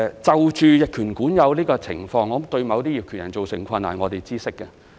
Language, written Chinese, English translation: Cantonese, 就逆權管有的情況對於某些業權人造成困難，我們是知悉的。, We are aware that some landowners have encountered problems related to adverse possession